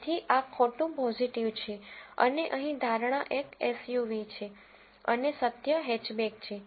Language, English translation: Gujarati, So, this is a false positive and here the prediction is a SUV and the truth is hatchback